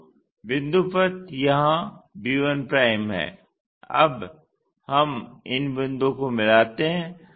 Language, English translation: Hindi, So, the locus point is here b 1' now let us join these points